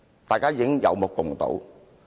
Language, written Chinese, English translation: Cantonese, 大家有目共睹。, It is obvious to all